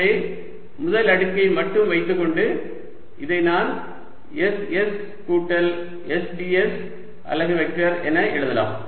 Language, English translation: Tamil, so by keeping only the first order, i can write this as s s plus s d s unit vector